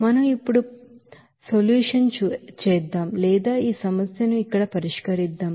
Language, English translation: Telugu, Let us do the solution or solve this problem here